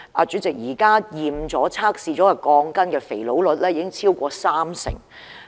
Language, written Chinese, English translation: Cantonese, 主席，現時已檢驗並經測試的鋼筋的不合格率已經超過三成。, President more than 30 % of the steel bars inspected and tested failed to meet the required standards